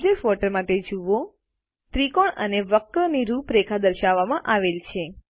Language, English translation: Gujarati, Observe that in the object water, the outlines of the triangle and the curve are displayed